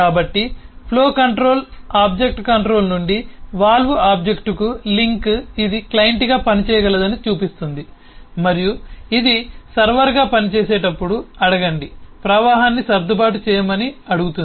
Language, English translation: Telugu, so the link from the flow control object to the valve object shows that this can work as a client and ask, while this works as a server, ask it to adjust the flow in a different way